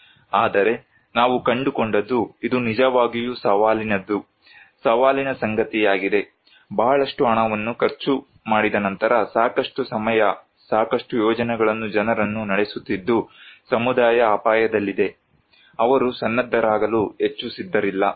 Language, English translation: Kannada, But, what we found that it is really challenging, is really challenging, after spending a lot of money, a lot of time, running a lot of projects, people; the community at risk, they are not very willing to prepared